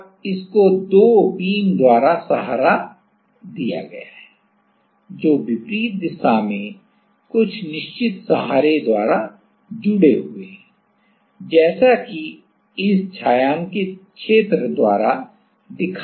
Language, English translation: Hindi, And, this is supported by 2 beams which are connected in the opposite direction by some fixed support as it is shown by this shaded area